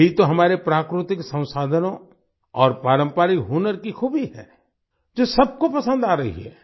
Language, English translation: Hindi, This is the very quality of our natural resources and traditional skills, which is being liked by everyone